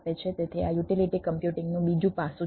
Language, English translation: Gujarati, so there is another aspects of this: utility computing